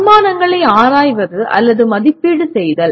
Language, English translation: Tamil, Examining or evaluating assumptions